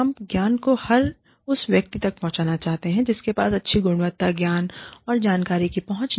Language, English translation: Hindi, We want to spread knowledge, to everybody, who had does not have access to good quality, knowledge and information